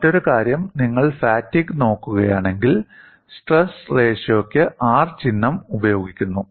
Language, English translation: Malayalam, And the other aspect is, if you look at fatigue, the symbol R is used for the stress ratio